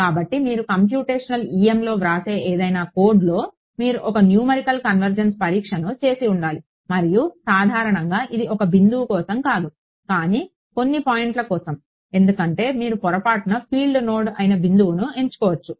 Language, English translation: Telugu, So, any code that you write in computational em, you should have done one numerical convergence test and typically not just for one point, but for a few points why because it could happen that by mistake you chose a point which is actually a field node